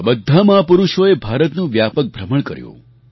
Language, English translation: Gujarati, All these great men travelled widely in India